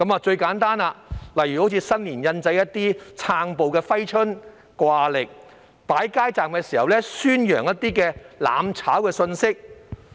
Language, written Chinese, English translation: Cantonese, 最簡單的例子是在新年印製"撐暴"的揮春和掛曆，以及在擺街站時宣揚"攬炒"的信息。, Some simple examples include distributing Fai Chun and wall calendars with wordings supporting violence during the Chinese New Year and propagating the idea of mutual destruction at street counters